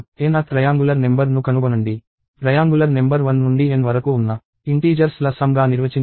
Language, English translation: Telugu, Find the n th triangular number; a triangular number is defined as a sum of integers from 1 to n